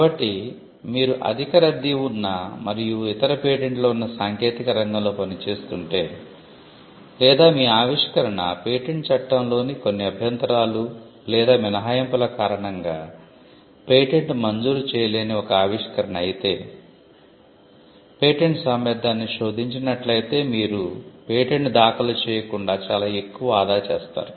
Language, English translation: Telugu, So, if you are operating in a heavily crowded field, where there are other patents, or if your invention is an invention that would not be granted a patent due to certain objections or exceptions in the patent law, then you would save much more in costs if you get a patentability search done rather than filing a patent, and then realizing through office objections that your invention cannot be patented